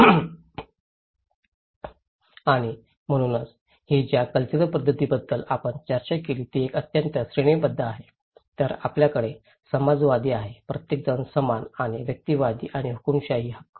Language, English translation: Marathi, And so, this is the cultural pattern we discussed about, one is very hierarchical then we have egalitarian, everybody is equal and individualist and authoritarian right